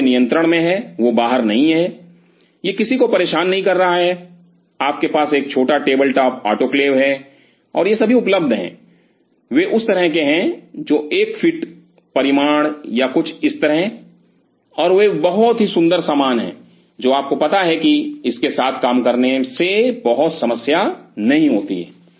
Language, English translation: Hindi, Which is in your control it is not outside, it is not bothering anybody, you have a small table top autoclave and these are all available they are of kind of you know like one feet size or something like this, and they are very cool stuff to you know work with this does not create much problem